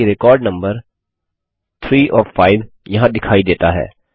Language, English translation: Hindi, Notice that the record number 3 of 5 is displayed here